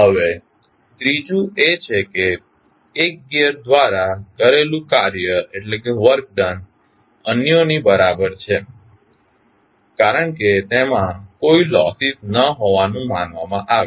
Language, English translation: Gujarati, Now, third one is that the work done by 1 gear is equal to that of others, since there are assumed to be no losses